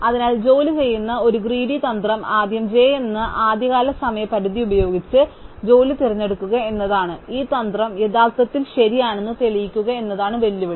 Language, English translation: Malayalam, So, turns out that a greedy strategy that does work is to choose the job with earliest deadline d of j first, the challenge is to prove that this strategy is in fact correct